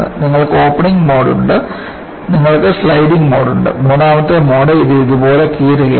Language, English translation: Malayalam, You have the opening mode, you have the sliding mode and the third mode is it is tearing like this